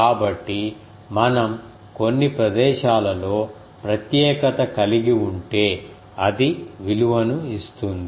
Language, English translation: Telugu, So, if we specialize in some places it gives a value